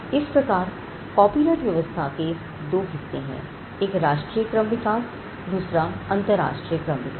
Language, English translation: Hindi, Now, the copyright regime similarly had two parts; there was a national evolution of the copyright regime and also the international evolution